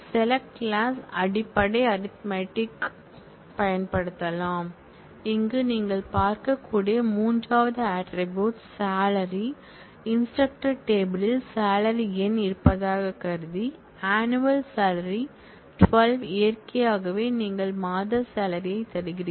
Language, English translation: Tamil, Select clause can also use basic arithmetic operations for example, here we are showing a select where the third attribute as you can see, the third attribute is salary by 12, assuming that the instructor table has a salary number which is annual salary by 12 naturally you give you the monthly salary